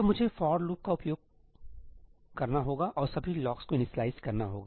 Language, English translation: Hindi, So, I have to use a for loop and initialize all the locks